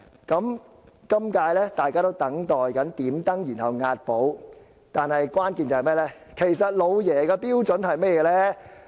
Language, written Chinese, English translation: Cantonese, 今屆大家都在等待"點燈"，然後"押寶"，但關鍵在於"老爺"的標準為何。, As far as this election is concerned everyone is waiting for the lantern to be lit before they place bets but the most crucial factor is the standard used by the Master